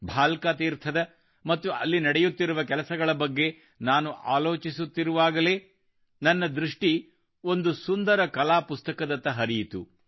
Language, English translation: Kannada, I was thinking of Bhalaka Teerth and the works going on there when I noticed a beautiful artbook